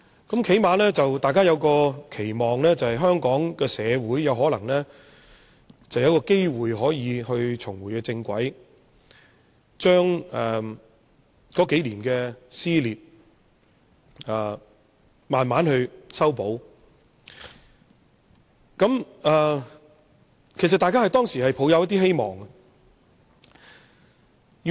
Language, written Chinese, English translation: Cantonese, 最低限度大家期望香港社會有機會重回正軌，將過去數年的撕裂逐漸修補，當時大家抱有希望。, It was hoped at the time that Hong Kong society will at least have the opportunity to get back onto the right track and the dissension of the past few years would be mended gradually